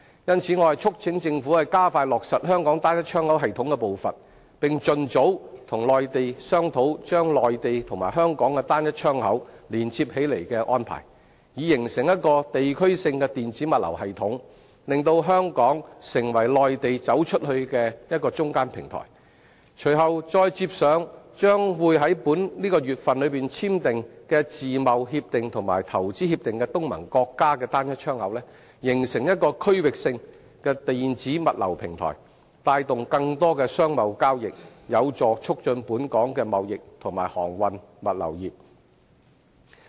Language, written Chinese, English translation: Cantonese, 因此，我促請政府加快落實香港"單一窗口"系統的步伐，並盡早與內地商討把內地和香港的"單一窗口"連接起來的安排，以形成一個地區性的電子物流系統，令香港成為內地走出去的中間平台；隨後再接上將於本月與簽訂自貿協定及投資協定的東盟國家的"單一窗口"，形成區域性電子物流平台，帶動更多商貿交易，有助促進本港的貿易和航運物流業。, Therefore I urge the Government to expeditiously implement the Trade Single Window system in Hong Kong and discuss with the Mainland to connect the systems of the two places so as to establish an electronic logistics system in the area and make Hong Kong a bridging platform for China to go global . After the ASEAN countries signed the Free Trade Agreements and the Investment Agreements later this month arrangements can then be made for connecting their trade single window systems with that of Hong Kong to establish a regional electronic logistics platform to bring in more trading transactions and promote trading transportation services and the logistics industry in Hong Kong